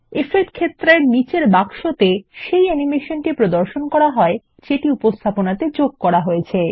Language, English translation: Bengali, The box at the bottom of the Effect field displays the animations that have been added to the presentation